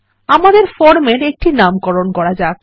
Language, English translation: Bengali, Let us now give a name to our form